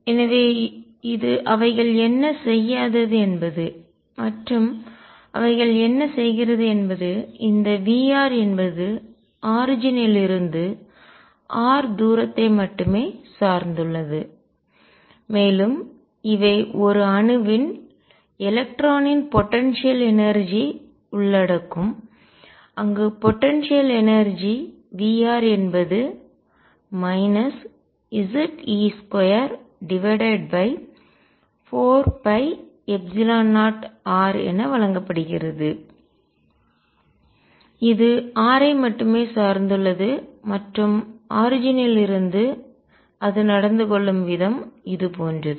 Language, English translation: Tamil, So, this is what they do not do what they do is they depend V r depends only on the distance r from the origin and these will include potential energy of an electron in an atom where the potential energy V r is given as minus Ze square over 4 pi epsilon 0 r it depends only on r and the way it behaves from the origin is like this